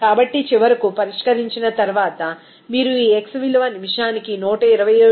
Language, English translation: Telugu, So, finally, after solving, you can get this x value is 127